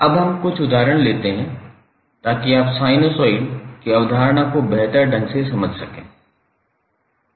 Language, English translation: Hindi, Now let's take a few examples so that you can better understand the concept of sinusoid